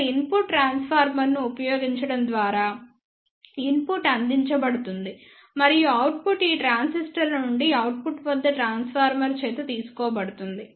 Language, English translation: Telugu, Here the input is provided by using the input transformer and the output is taken and combined from these transistors by the transformer at the output